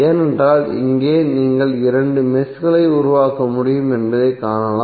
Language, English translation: Tamil, Because here it is you can see that you can create two meshes